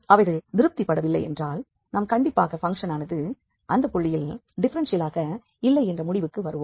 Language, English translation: Tamil, But if they are not satisfied, then we can definitely conclude that the function is not differentiable at that point